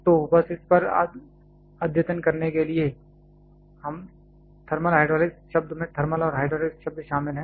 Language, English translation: Hindi, So, just to update on this the term thermal hydraulics involves the term thermal and hydraulics